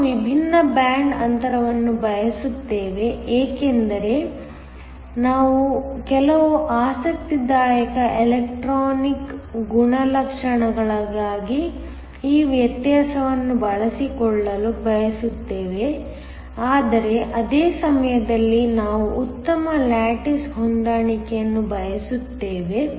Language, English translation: Kannada, We want different band gaps because we want to exploit this difference for some interesting electronic properties but, at the same time we want a good lattice match